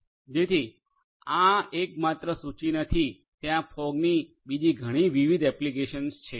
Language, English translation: Gujarati, So, this is not the only list there are many other different applications of fog